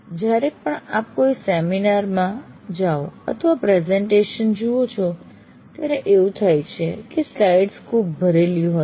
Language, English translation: Gujarati, It does happen whenever you go to a seminar or a presentation where the slides are overcrowded, it's very difficult to keep track of that